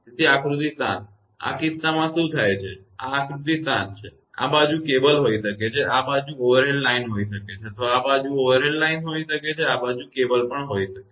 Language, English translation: Gujarati, So, this figure 7; in this case what happens, this is figure 7; this side may be cable, this side may be overhead line or this side may be overhead line this side may be cable also